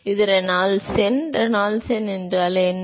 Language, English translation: Tamil, So, that is the critical Reynolds number